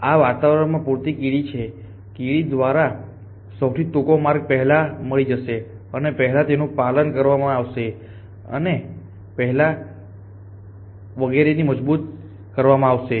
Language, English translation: Gujarati, Assuming the they enough number of ants in this environment shortest pass will be found first and they will be followed first in so on about